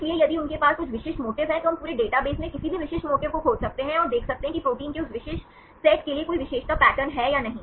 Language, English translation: Hindi, So, if they have some specific motifs then we can search any specific motifs in the whole database and see whether there is any characteristic pattern for that particular set of proteins